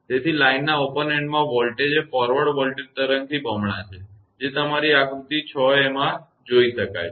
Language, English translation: Gujarati, Therefore, the voltage at the open end of the line is twice the forward voltage wave, as seen in figure your 6 a